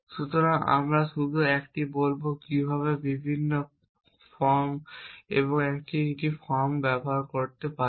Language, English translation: Bengali, So, just we will a says how to use different action and this one